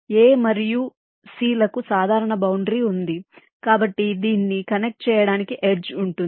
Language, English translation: Telugu, a and c is having a common boundary, so there will an edge connecting this